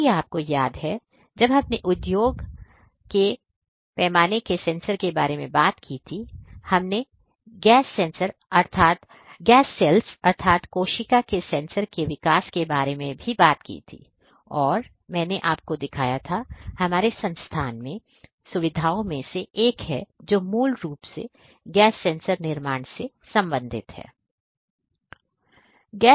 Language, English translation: Hindi, If you recall, when we talked about sensors in the industry scale, we also talked about the development of a gas cells sensor and I had shown you one of the facilities in our institute which basically deals with the gas sensor fabrication and how gas sensors can help in monitoring the concentration of different gases right